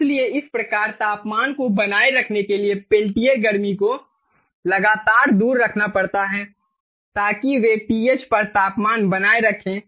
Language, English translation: Hindi, so therefore the peltier heat has to be constantly removed in order to keep it constant, in order to keep the temperature at th, so qp